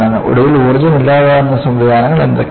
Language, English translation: Malayalam, And, finally what are the energy dissipating mechanisms